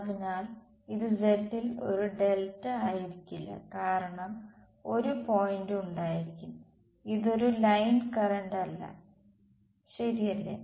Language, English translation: Malayalam, So, it will not be a delta z because there will be a point so, this is not be a line current right